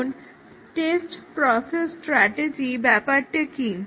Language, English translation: Bengali, Now, what about the test process strategy